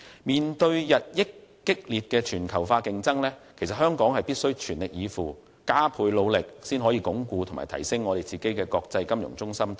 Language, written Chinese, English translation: Cantonese, 面對日益激烈的全球化競爭，香港必須全力以赴，加倍努力，以鞏固和提升作為國際金融中心的地位。, In the face of increasingly intense global competition Hong Kong must go to great lengths and make all - out efforts to reinforce and enhance its status as a global financial centre